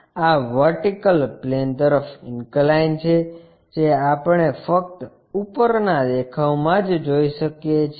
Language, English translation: Gujarati, This inclined to vertical plane we can see only in the top view